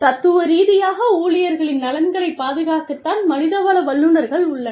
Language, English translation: Tamil, Philosophically, HR professionals are there, to safeguard the interests, of the employees